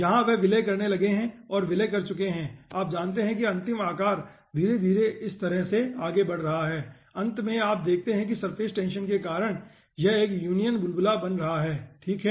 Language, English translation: Hindi, here they have started merging of, here they have merged and, you know, taking the final shape, slowly progressing like this and finally, you see, due to surface tension it is becoming 1 union bubble